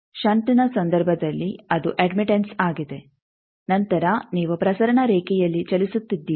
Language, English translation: Kannada, In case of shunt, it is admittance then you are moving on a transmission line